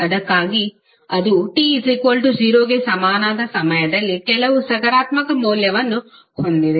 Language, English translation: Kannada, So that is why it is having some positive value at time t is equal to 0